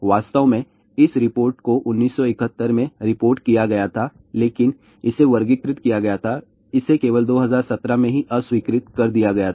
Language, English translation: Hindi, In fact, this report was reported in 1971, but it was classified , it only got the declassified in 2017